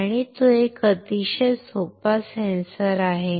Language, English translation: Marathi, and it is a very simple sensor